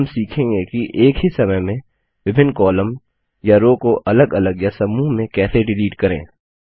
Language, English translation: Hindi, Now lets learn how to delete multiple columns or rows at the same time